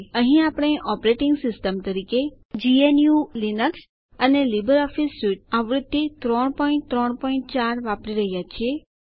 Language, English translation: Gujarati, Here we are using GNU/Linux as our operating system and LibreOffice Suite version 3.3.4